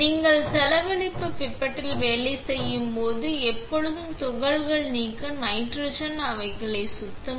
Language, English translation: Tamil, When you are working with disposable pipettes, always clean them with nitrogen to remove excess particles